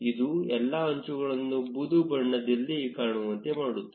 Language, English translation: Kannada, This will make all the edges appear grey